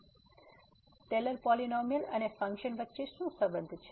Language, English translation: Gujarati, So, what is the relation of the Taylor’s polynomial and the function